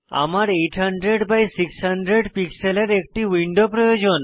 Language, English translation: Bengali, I need a window of size 800 by 600 pixels